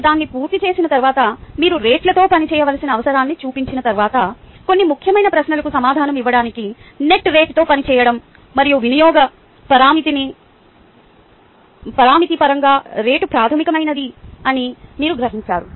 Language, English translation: Telugu, and once we have done that, once you have shown the need for working with the rates, working with net rate to answer some important questions, and the fact that you gotten the, your gotten across the fact that rate is a fundamental in terms of use parameter, ah